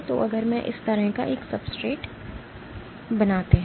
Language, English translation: Hindi, So, if I make a substrate like this